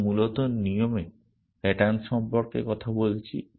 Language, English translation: Bengali, First we want to talk about patterns